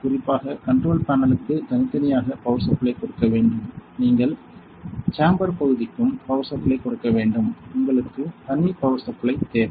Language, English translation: Tamil, So, especially separately for the control panel, you need to give power as well as for the chamber area; you need separate power